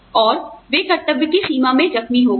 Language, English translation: Hindi, And, they got hurt, in the line of duty